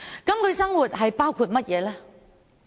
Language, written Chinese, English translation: Cantonese, 他們的生活包括甚麼呢？, What does their living entail?